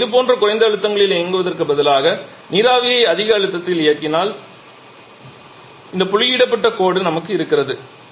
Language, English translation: Tamil, Now instead of operating at such low pressure if we operate the steam at much higher pressure then we have this dotted line